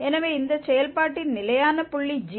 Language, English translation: Tamil, So, this s is the fixed point of this function g